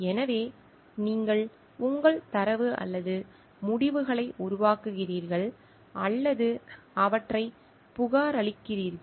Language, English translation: Tamil, So, you fabricate your data or results or report them